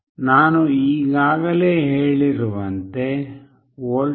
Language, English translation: Kannada, I have already told that we can apply a voltage 0